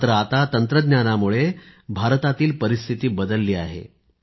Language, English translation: Marathi, But today due to technology the situation is changing in India